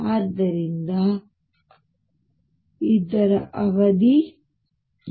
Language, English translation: Kannada, So, this is the period a